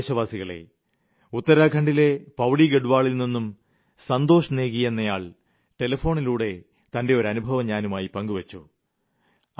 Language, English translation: Malayalam, My dear countrymen, Santosh Negi from Pauri Garhwal in Uttarakhand, has called up to relate one of his experiences